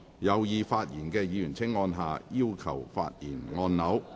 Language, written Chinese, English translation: Cantonese, 有意發言的議員請按下"要求發言"按鈕。, Members who wish to speak will please press the Request to speak button